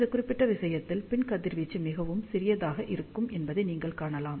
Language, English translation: Tamil, In this particular you can see that, the back radiation will be very very small